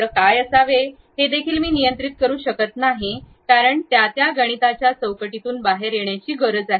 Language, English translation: Marathi, I cannot even control what should be the center, because these are the outputs supposed to come out from that mathematical framework